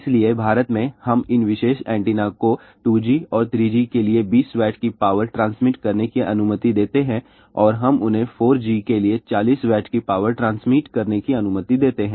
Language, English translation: Hindi, So in India, we allow these particular antennas to transmit 20 Watt of power for 2G and 3G and we allow them to transmit 40 Watt of power for 4G